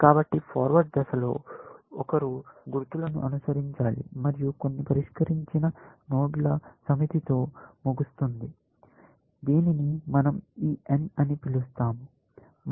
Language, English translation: Telugu, So, in the forward phase, you follow the markers, end up with some unsolved set of nodes, which we have called as this n